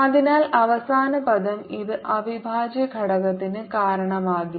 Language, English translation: Malayalam, so the last term, this does not contribute to the integral at all